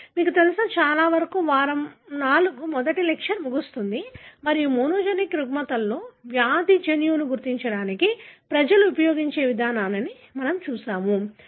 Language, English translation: Telugu, So, that, you know, pretty much ends the first lecture of week IV and wherein we have looked at the approach people use to identify the disease gene in monogenic disorders